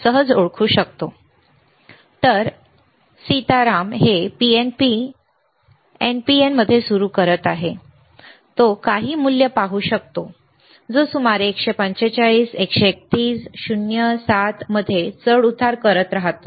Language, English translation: Marathi, So, he is placing this in NPN to start with, and he can see some value which is around 145, 131, 0, 7 keeps on fluctuating